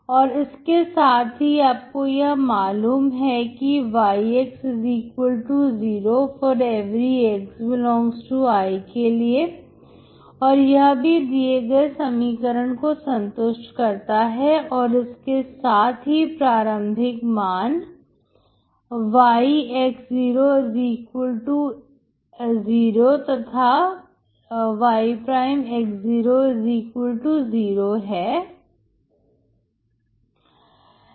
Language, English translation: Hindi, And you know that y =0, for ∀ x ∈ I is also satisfying the equation and the initial values, initial values y =0, and y'=0